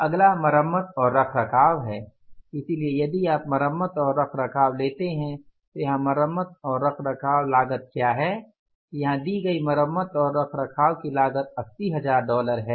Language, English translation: Hindi, Repair and maintenance so if you take the repair and maintenance what is the repair and maintenance cost here